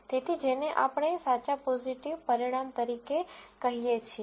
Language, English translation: Gujarati, So, this is what we call as a true positive result